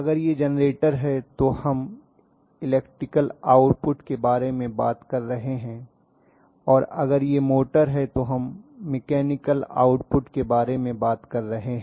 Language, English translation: Hindi, So if it is generator we are not talking about electrical output and if we are talking about motor we are talking about mechanical output, clearly